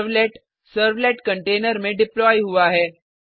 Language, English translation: Hindi, A servlet is deployed in a servlet container